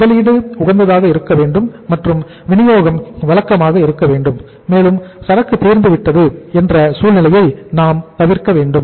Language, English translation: Tamil, Investment also has to be optimum and supply has to be regular and we have to avoid the stock out situation also